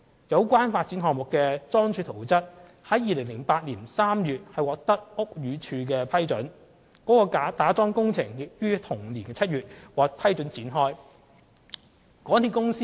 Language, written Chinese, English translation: Cantonese, 有關發展項目的樁柱圖則於2008年3月獲屋宇署批准，其打樁工程亦於同年7月獲准展開。, The piling plan of the development project concerned was approved by BD in March 2008 and the piling works was allowed to commence in July of the same year